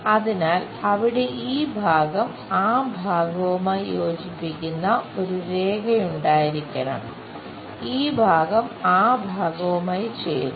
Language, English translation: Malayalam, So, there should be a line which joins this part all the way to that part, this part joins with that part